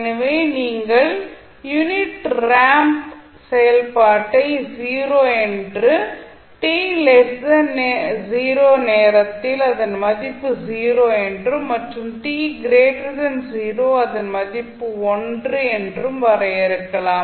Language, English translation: Tamil, So, you can define it like this the unit ramp function will be nothing at 0 at time t less than or equal to 0 and t equal to the value t when time t greater than or equal to 0